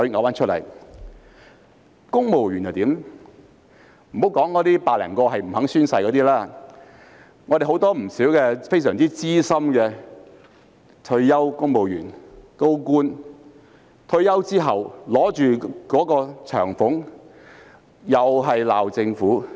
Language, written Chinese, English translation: Cantonese, 莫說那100多個不願宣誓的公務員，很多非常資深的退休公務員、高官在退休後都一邊領取長俸，一邊責罵政府。, Not to mention the 100 - odd civil servants who are unwilling to swear some very experienced retired civil servants and government officials are scolding the Government on the one hand and receiving pension from the Government on the other